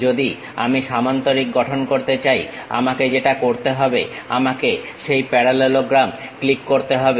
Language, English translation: Bengali, Parallelogram if I would like to construct what I have to do click that parallelogram